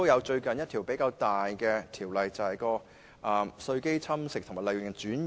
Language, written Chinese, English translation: Cantonese, 最近一項比較大型的條例修訂，就是有關稅基侵蝕及利潤轉移。, A relatively large - scale amendment to the Ordinance recently is about base erosion and profit sharing